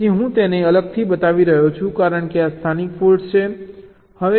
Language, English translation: Gujarati, so i am showing it separately because these are the local faults